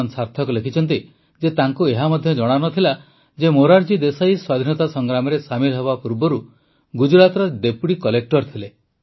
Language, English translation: Odia, Sarthak ji has written that he did not even know that Morarji Bhai Desai was Deputy Collector in Gujarat before joining the freedom struggle